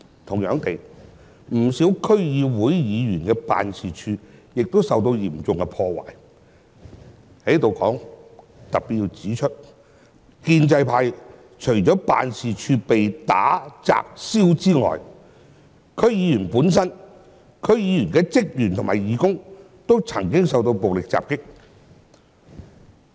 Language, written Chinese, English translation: Cantonese, 同樣地，不少區議會議員的辦事處亦受到嚴重破壞。就此，我要特別指出，建制派除了辦事處被打、砸、燒外，區議員本身、區議員的職員和義工均曾經受到暴力襲擊。, Similarly the offices of many District Council DC members were subject to severe damage and in this connection I have to specially point out that apart from vandalizing smashing and burning offices of DC members from the pro - establishment camp there were also violent attacks on these DC members as well as their staff and volunteers